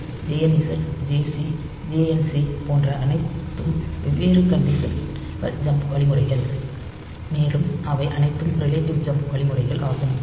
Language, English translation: Tamil, So, this JZ, JNZ, JC, JNC so they are all different conditional jump instructions; and they are all relative jump instructions